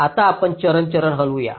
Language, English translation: Marathi, ok, now let us moves step by step